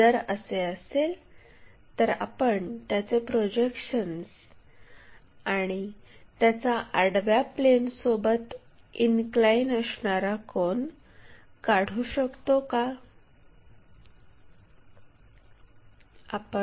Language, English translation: Marathi, If, that is the case can we draw it is projections and it is inclination angle with horizontal plane